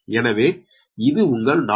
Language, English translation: Tamil, up to this, it is four